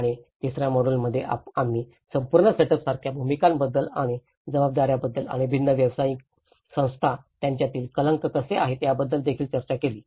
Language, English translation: Marathi, And in the third module, we also discussed about the roles and the responsibilities like the whole setup and how there is a jargon between different professional bodies